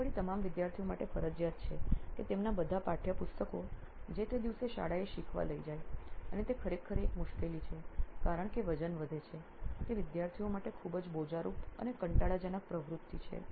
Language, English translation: Gujarati, And it is again mandatory for all students to carry all their textbooks whatever they have to learn that day to school and that certainly is a hassle it is adding a lot of weight it is a very cumbersome and tiresome activity for students